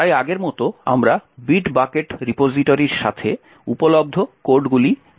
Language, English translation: Bengali, So as before we will be using the codes that is available with Bit Bucket repository